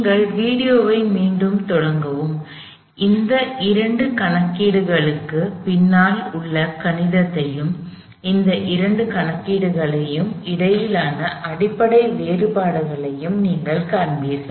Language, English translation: Tamil, We have done, start the video back again and you will see the mathematics behind these two calculations and the basic differences between these two calculations